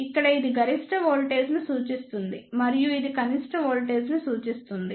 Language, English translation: Telugu, Here this represents the maximum voltage and this represents the minimum voltage